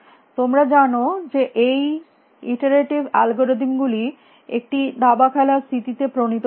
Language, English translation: Bengali, You know this iterative deepening algorithm they were devised in a chess playing situation